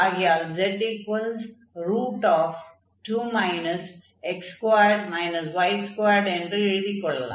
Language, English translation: Tamil, So, again this is x and y and z